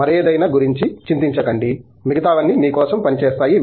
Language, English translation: Telugu, Don’t worry about anything else; everything else will work out for you